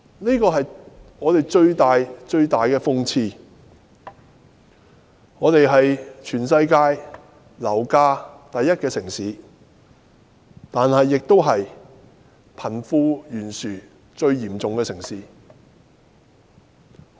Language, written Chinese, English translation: Cantonese, 這是香港最大的諷刺。香港是全世界樓價最高的城市，但同時亦是貧富懸殊最嚴重的城市。, While Hong Kongs property prices are the highest in the world the disparity between the rich and the poor in the city is also the greatest